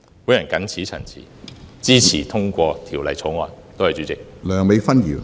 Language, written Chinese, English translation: Cantonese, 我謹此陳辭，支持通過《條例草案》，多謝主席。, I so submit and support the passage of the Bill . Thank you President